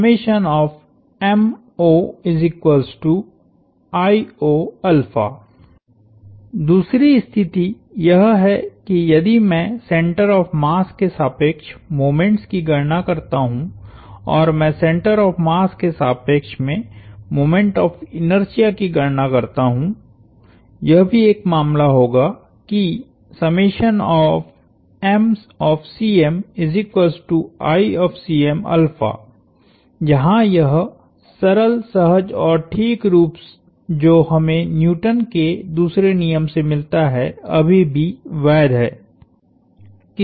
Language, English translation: Hindi, The second condition is, if I compute the moments about the centre of mass and I compute the moment of inertia about the center of mass that would also be a case, where this simple nice and elegant form that we get from Newton's second law is still valid